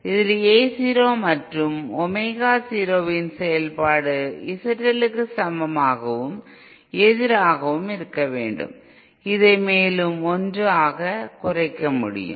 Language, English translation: Tamil, So first we saw that our Z in which is the function of A 0 and Omega 0 should be equal and opposite to Z L and this in turn can be further reduced to 1